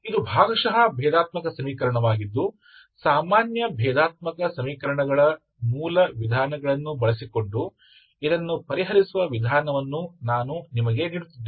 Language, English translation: Kannada, This is a partial differential equation I am just giving you the method to solve this one just using basic methods of ordinary differential equations